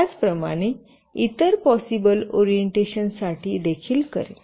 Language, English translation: Marathi, Similarly, for the other possible orientations